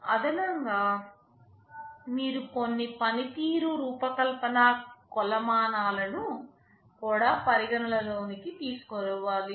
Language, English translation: Telugu, And in addition you have some performance design metrics that also need to be considered